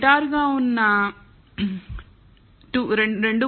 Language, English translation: Telugu, The steep one 2